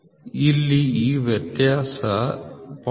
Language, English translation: Kannada, Here it will be and this difference is 0